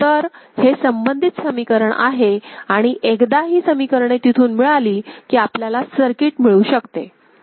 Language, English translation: Marathi, So, these are the corresponding equation right and once this equations are obtained from there, we can get the circuit right